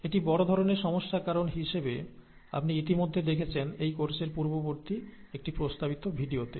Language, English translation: Bengali, And this causes major difficulties as you have already seen in an earlier video, in an earlier recommended video in this course